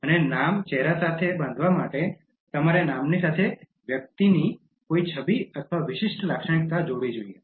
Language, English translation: Gujarati, And to tie the name to the face, you should associate an image or a distinctive feature of the person with the name